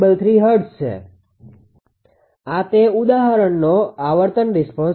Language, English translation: Gujarati, 533 hertz; this is the frequency response of this example